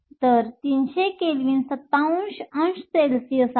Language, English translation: Marathi, So, 300 Kelvin is 27 degrees Celsius